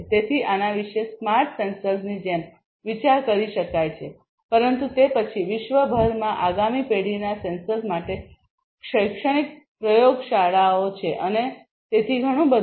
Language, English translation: Gujarati, So, these can be thought of like smart sensors, but then for next generation sensors throughout the world industries academic labs and so, on